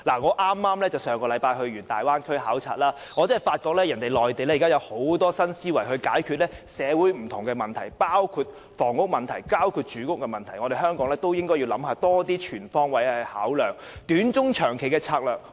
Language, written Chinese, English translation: Cantonese, 我上星期剛到大灣區考察，發覺內地利有很多新思維解決社會上的不同問題，包括房屋和住屋問題，所以香港也應該全方位地考量短、中、長期的策略。, After visiting the Bay Area last week I discovered that the Mainland has adopted new thinking extensively to tackle different problems in the community including housing and accommodation . Therefore Hong Kong should also consider adopting short - medium - and long - term strategies in a holistic manner